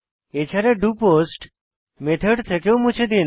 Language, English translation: Bengali, Also remove it from the doPost method